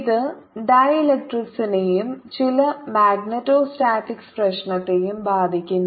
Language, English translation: Malayalam, it concerns dielectrics and some magnetostatics problem